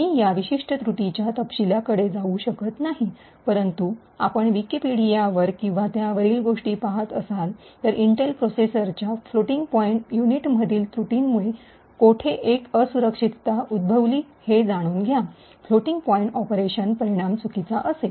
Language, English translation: Marathi, I would not go to into the details of this particular flaw, but you could actually look it up on Wikipedia and so on to see a roughly in the mid 90s, how a flaw in the floating point unit of Intel processors had led to a vulnerability where, when you do a floating point operation, the result would be incorrect